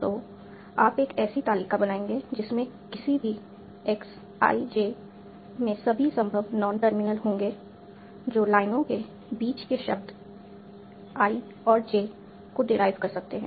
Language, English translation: Hindi, And so you will build up a table such that any XIJ will contain all the possible non terminus that can derive words between the lines I and J